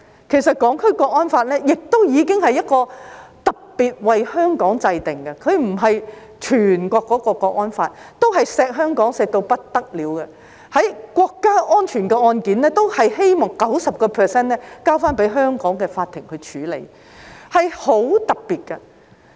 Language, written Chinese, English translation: Cantonese, 其實，《香港國安法》已是特別為香港制定的，它並非全國適用的那條國安法，對香港已疼惜到不得了，就涉及國家安全的案件，均希望 90% 交由香港法庭處理，是很特別的。, In fact the National Security Law for Hong Kong has been enacted specially for Hong Kong . It is not the national security law that is applicable across the whole country . Hong Kong has been pampered to the hilt